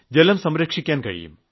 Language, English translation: Malayalam, We should also store water